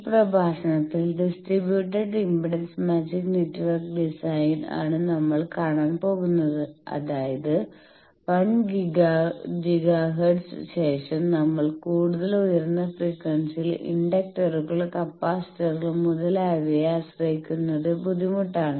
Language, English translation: Malayalam, In this lecture, we will see the distributed impedance matching network design that means, as I said that as we go higher in frequency particularly after 1 giga hertz, it is difficult to rely on inductors, capacitors, and etcetera